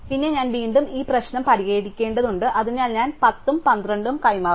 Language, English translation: Malayalam, Then, I again have to fix this problem, so I exchange the 10 and the 12